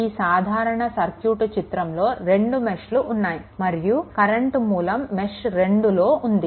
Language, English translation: Telugu, So, I will show you a simple circuit having 2 meshes current source exist in mesh 2, right